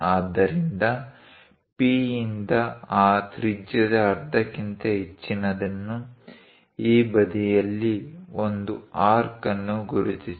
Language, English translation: Kannada, So, from P greater than half of that radius; mark an arc on this side